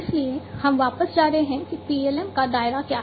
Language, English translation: Hindi, So, we will going back what is the scope of PLM